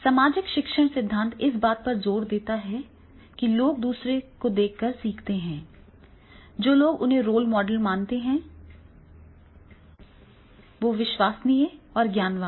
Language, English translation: Hindi, Social learning theory emphasized that people learn by observing other person models whom they believe are credible and knowledgeable, role models